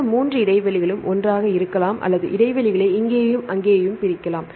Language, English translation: Tamil, Either these 3 gaps can be together or we can separate the gaps here and there